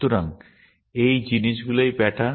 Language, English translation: Bengali, So, these things are patterns